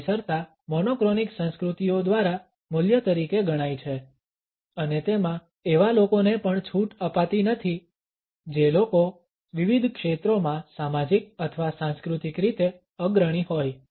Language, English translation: Gujarati, Punctuality is considered by monochronic cultures as a value and it is not relaxed even for those people who are considered to be as social or cultural leaders in different fields